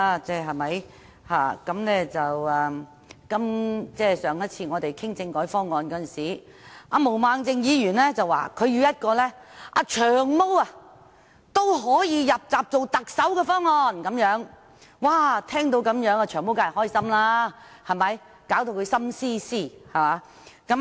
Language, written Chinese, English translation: Cantonese, 我們上次討論政改方案的時候，毛孟靜議員說她要一個"長毛"都可以"入閘"參選特首的方案，"長毛"聽到後當然很高興，令他"心思思"。, When the constitutional reform proposals were last discussed here Ms Claudia MO said that she would like to have a proposal under which even Long Hair could secure enough nominations and run in the Chief Executive Election . Long Hair was of course delighted to hear about this and he then came up with many fancy ideas